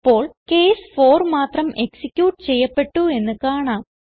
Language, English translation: Malayalam, As we can see, now only case 4 is executed